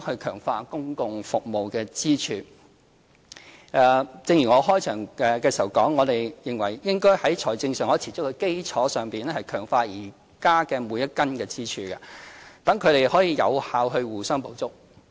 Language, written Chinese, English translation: Cantonese, 強化公共服務支柱正如我在開場發言指出，我們認為應該在財政上可持續的基礎上，強化現時的每根支柱，讓它們更有效地互相補足。, Strengthening the public services pillar As I have pointed out in the opening speech we believe that we should strengthen each of the existing pillars on the basis of financial sustainability therefore they can more effectively complement each other